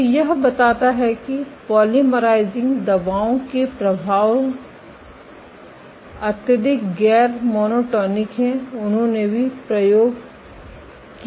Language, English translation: Hindi, So, this suggests that these effects of polymerizing drugs are highly non monotonic, they also did experiment ok